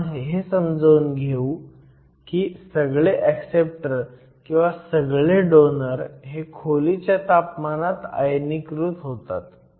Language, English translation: Marathi, We will try and explain how we can say that all the donors or all the acceptors are ionized at room temperature